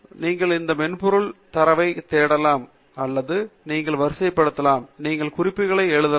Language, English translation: Tamil, You can search for data within this software, you can also sort them out, and you can write notes